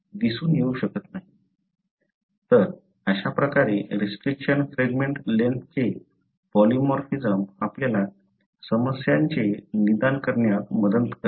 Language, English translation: Marathi, So this, this is how restriction fragment length polymorphism helps us in diagnosing problems